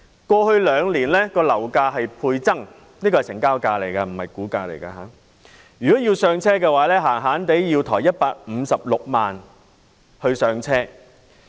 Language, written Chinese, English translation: Cantonese, 過去兩年，樓價倍增——這是成交價而不是估價——如果要上車的話，最少要支付156萬元首期。, In the past two years property prices―I mean transaction prices but not valuations―have doubled . To purchase such a flat a buyer has to make a down payment of at least 1.56 million